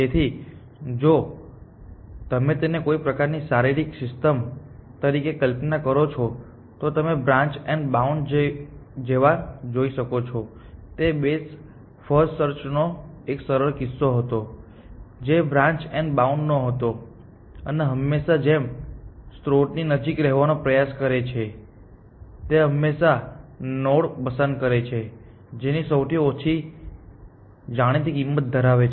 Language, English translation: Gujarati, So, if you try to visualize this as some sort of a physical system, you can see that branch and bound like breath first search which was a simpler case of branch and bound tries to stick as close to the source as possible always picks a node which is as which has a lowest known cost essentially